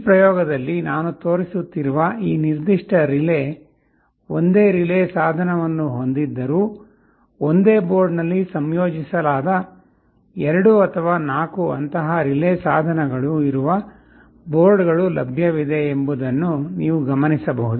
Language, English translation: Kannada, You may note that although this particular relay I shall be showing in this experiment has a single relay device, there are boards available where there are 2 or 4 such relay devices integrated in a single board